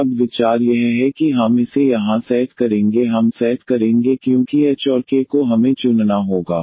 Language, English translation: Hindi, And now the idea is that we will set this here we will set because h and k we need to choose